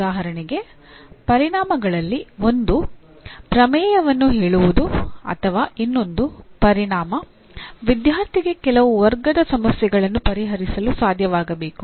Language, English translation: Kannada, For example I ask one of the outcome is to state some theorem or another outcome could be the student should be able to solve certain class of problems